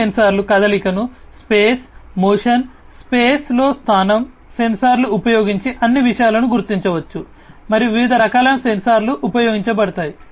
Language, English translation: Telugu, These sensors can detect the motion the direction in space, motion, space, you know, the position in space, all these things can be detected using these sensors and there could be different )different) types of sensors that would be used